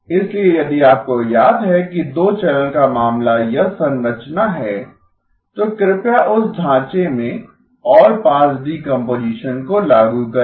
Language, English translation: Hindi, So if you remember the two channel case is this structure, please apply the allpass decomposition into that framework